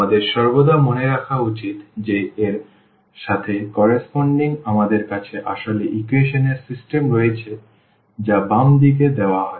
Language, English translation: Bengali, We should always keep in mind that corresponding to this we have actually the system of equations you are given in the left